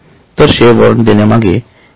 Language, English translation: Marathi, So, this is one example of when the share warrant is received